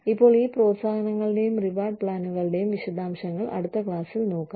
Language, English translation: Malayalam, Now, we will look at, the detail of these incentives and reward plans, in the next class